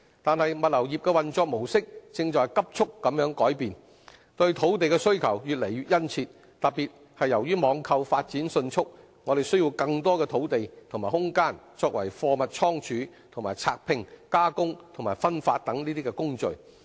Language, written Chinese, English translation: Cantonese, 但是，物流業的運作模式正在急速改變，對土地的需求越來越殷切，特別是由於網購發展迅速，需要更多土地和空間作為貨物倉儲和拆拼、加工和分發等工序。, However the mode of operation of the logistics industry is changing rapidly thus generating an even more pressing demand for land . In particular given the rapid growth of online shopping business more land and space are needed for such processes as goods inventory packing and unpacking processing and distribution